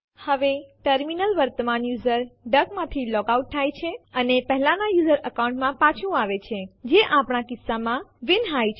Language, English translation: Gujarati, Now the terminal logs out from the current user duck and comes back to the previous user account, which is vinhai in our case